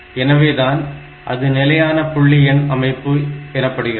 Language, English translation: Tamil, So, they are known as fixed point number system